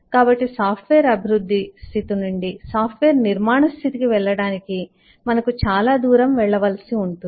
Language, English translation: Telugu, so we have a long way to go from the status of software development to the status of software construction